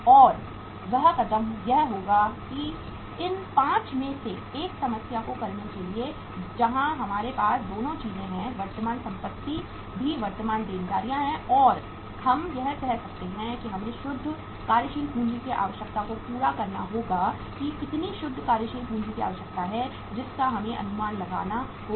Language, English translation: Hindi, And that step will be that to do a problem out of these 5 where we have both the things, current assets also current liabilities also and we can say that we will have to work out the net working capital requirement that how much net working capital is required we have to estimate that